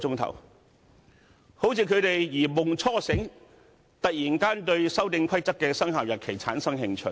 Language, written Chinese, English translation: Cantonese, 他們好像如夢初醒，突然對《修訂規則》的生效日期產生興趣。, It seemed that they have just awakened from a dream suddenly taking interest in the commencement date of the Amendment Rules